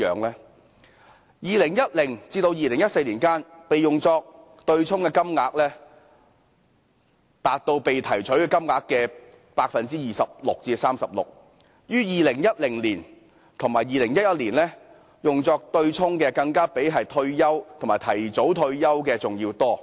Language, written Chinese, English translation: Cantonese, 在2010年至2014年間，用作對沖的金額佔被提取金額的 26% 至 36%， 而在2010年及2011年，用作對沖的金額更比退休及提早退休的金額還要多。, From 2010 to 2014 the amounts offset accounted for 26 % to 36 % of the amounts withdrawn and in 2010 and 2011 the amounts offset were even higher than the amounts withdrawn on grounds of retirement and early retirement